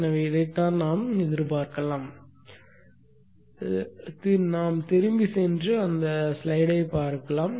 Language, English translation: Tamil, So this is what we can expect and let us go back and have a look at that